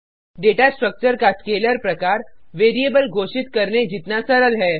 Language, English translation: Hindi, Scalar type of data structure is as simple as declaring the variable